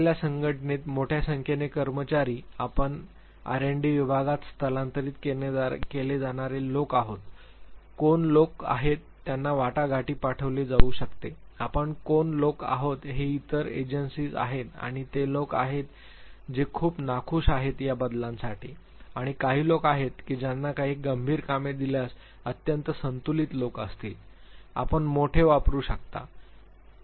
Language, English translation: Marathi, Large number of employees in given organization, you want to identify who are the people who should be transferred to RND section, who are the people who are who can be sent negotiate which are the other agencies, who are the people who would be very very reluctant to these changes, who are the people who would be extremely balanced if they are given certain critical tasks; you can use big 5